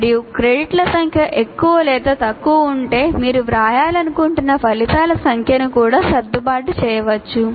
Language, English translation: Telugu, And if the number of credits are more or less, you can also adjust the number of outcomes that you want to write